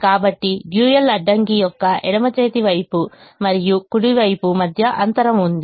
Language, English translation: Telugu, so there is a gap between the left hand side and the right hand side of the dual constraint